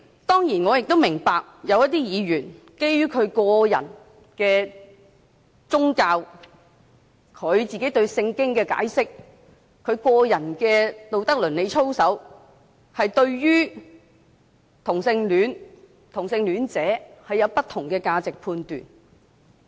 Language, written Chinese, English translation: Cantonese, 當然，我亦明白有一些議員，基於個人宗教信仰、對《聖經》的解釋或個人的道德倫理操守，而對同性戀及同性戀者有不同的價值判斷。, Certainly I also understand that some Members out of their personal religious faith interpretation of the Bible or personal morals hold different value judgment on homosexuality and homosexuals